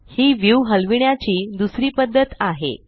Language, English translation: Marathi, This is the second method of Panning the view